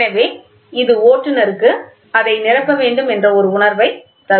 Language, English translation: Tamil, So, it will give you a feel for the driver to go fill it